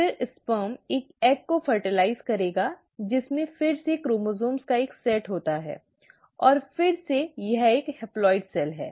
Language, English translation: Hindi, The sperm will then end up fertilizing an egg which again has a single set of chromosomes, and again it is a haploid cell